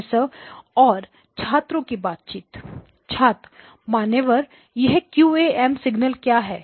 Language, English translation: Hindi, “Professor student conversation starts” Sir, what are these QAM signals you are talking about